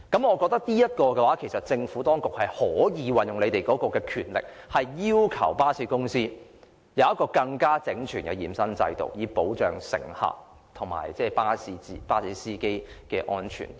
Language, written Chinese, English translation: Cantonese, 我認為政府當局可以運用權力，要求巴士公司提供更整全的驗身制度，以保障乘客和巴士司機的安全。, I think the Administration can exercise its powers to require bus companies to put in place a more comprehensive health check system to protect the safety of passengers and bus drivers